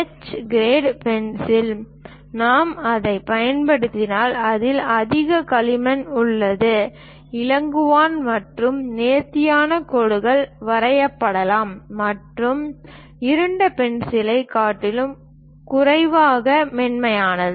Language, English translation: Tamil, Whereas a H grade pencil, if we are using it, this contains more clay, lighter and finer lines can be drawn and less smudgy than dark pencil